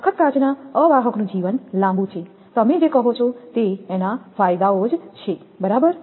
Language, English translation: Gujarati, The life of a toughened glass insulator is long, these are the your what you call the advantages right